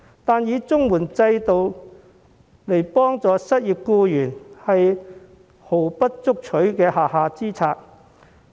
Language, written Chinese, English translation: Cantonese, 可是，以綜援制度幫助失業僱員，其實是毫不足取的下下之策。, However supporting the unemployed through CSSA is actually an unwise move which is the least desirable